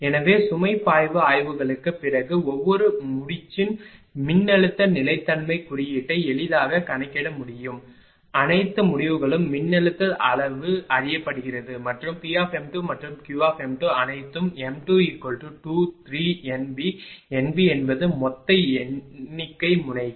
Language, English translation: Tamil, Hence one can easily calculate the voltage stability index of each node that is m 2 is equal after load flow studies all the results are known voltage magnitude and P m 2 and Q m 2 all are known for m 2 is equal to 2 3 up to N B n B is the total number of nodes